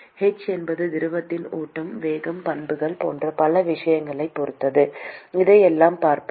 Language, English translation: Tamil, h depends on many things like flow, velocity, properties of the fluid we will see all that